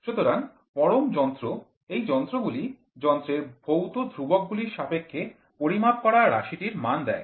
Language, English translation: Bengali, So, absolute instruments; these instruments give the magnitude of the quantities under measurement in terms of physical constants of the instrument